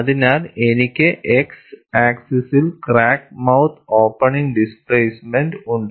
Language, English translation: Malayalam, So, I have on the x axis crack mouth opening displacement; on the y axis, I have the load